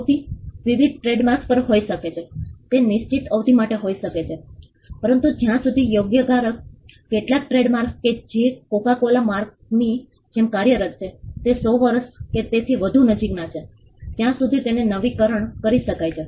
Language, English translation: Gujarati, The duration can also be different trademarks can be are for a fixed term, but they can be renewed as long as the right holder places some of the trademarks that are in operation like the coca cola mark are very old close to 100 years or more